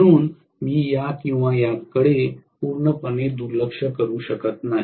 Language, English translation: Marathi, So I cannot completely neglect this or this